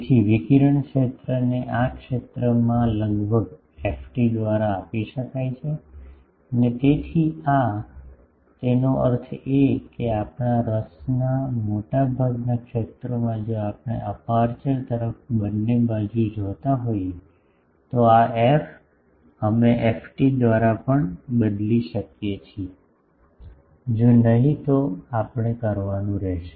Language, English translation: Gujarati, So, radiated field can be given nearly by ft in this region and this so; that means, in most of our zone of interest if we are looking both side to the aperture, then this f, we can replace by ft also if not then we will have to do